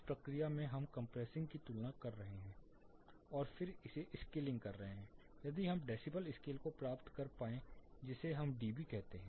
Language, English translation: Hindi, In this process we are comparing compressing and then scaling it so we end up with the decibel scale that is what we call as dB